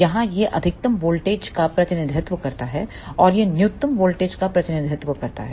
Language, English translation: Hindi, Here this represents the maximum voltage and this represents the minimum voltage